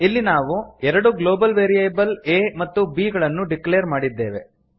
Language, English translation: Kannada, Here we have declared two global variables a and b